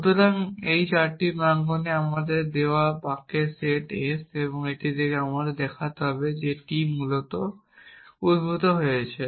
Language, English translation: Bengali, So, these are the four premises given to us the set of sentences s and from this we have to show the t is derived essentially